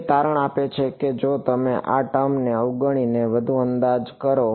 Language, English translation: Gujarati, It turns out that if you make a further approximation of ignoring this term also